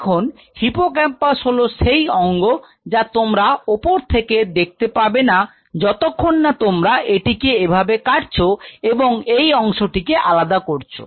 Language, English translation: Bengali, Now hippocampus is an organ, you would not be able to see from the top unless you cut it like this and you remove this part